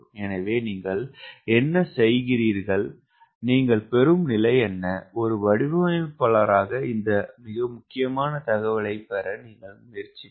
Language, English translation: Tamil, so what you do, what is the condition you get which a designer will try to snatch as an very important [vocalized noise] information